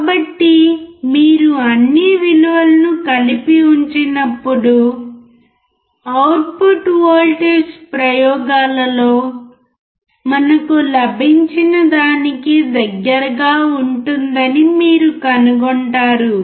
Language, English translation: Telugu, So, when you put all the values together, you will find that the output voltage would be close to what we got in the in the experiments